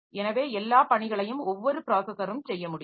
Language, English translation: Tamil, So, all tasks can be done by every processor